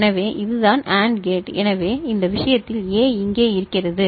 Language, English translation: Tamil, So, this is the case this is the AND gate so in this case A is coming over here